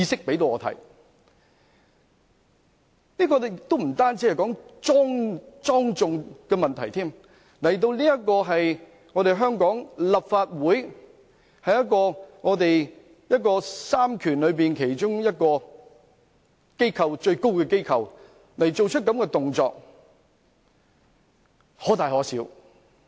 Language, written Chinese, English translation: Cantonese, 這亦不單關乎莊重的問題，他在香港立法會這個在三權中其中一個最高權力的機構做出這種行為，可大可小。, This also does not just concern solemnity . He did such acts in the Legislative Council one of the highest authorities among the three powers in Hong Kong so the impact of them should not be overlooked